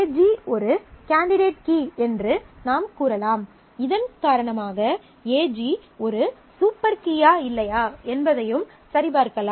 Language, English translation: Tamil, So, we can say that AG is a candidate key and because of this, we can also check whether AG is a super key or not